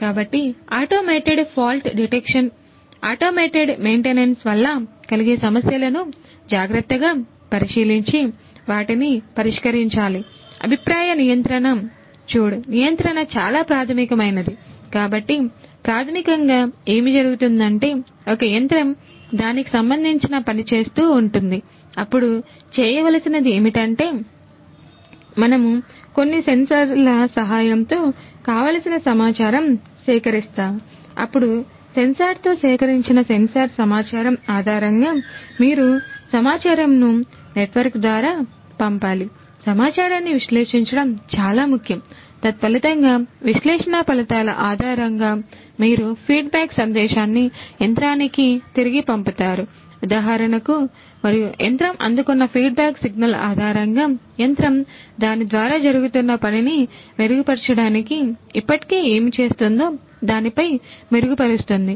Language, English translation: Telugu, Then, based on the sensors sensor data that is collected you need to send the data through a network, analyze the data analytics is very important consequently analyze the data and based on the results of the analysis you send a feedback message back to the machine for example, and based on the feedback signal that is received by the machine, the machine is going to improve upon what it is already doing in a to improve upon their existing job that is being done by it right